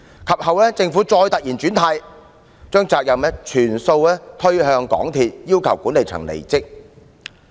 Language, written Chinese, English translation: Cantonese, 及後，政府再突然"轉軚"，把責任全部推向港鐵公司，要求管理層離職。, The Government again made an about - turn later and shifted all the responsibility to MTRCL requesting its management to quit their jobs